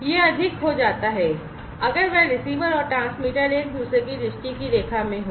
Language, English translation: Hindi, It becomes more, if that the receiver and the transmitter are in the line of sight of each other